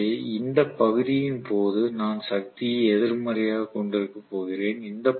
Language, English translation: Tamil, So I am going to have the power negative during this portion